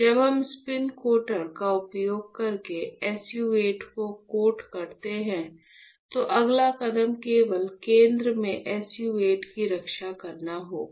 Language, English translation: Hindi, So, when we coat SU 8 using spin coater, the next step would be to protect SU 8 only in the center